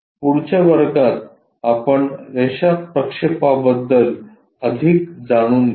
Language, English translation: Marathi, So, in the next class we will learn more about line projections